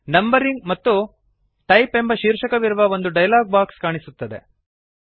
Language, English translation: Kannada, You see that a dialog box appears on the screen with headings named Numbering and Type